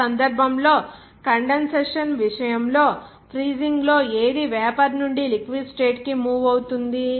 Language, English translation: Telugu, In that case, in case of condensation, what is moving from vapor to liquid state in freezing